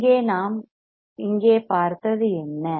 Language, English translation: Tamil, Here what we have seen until here